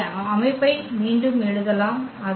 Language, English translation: Tamil, We can rewrite in the system form here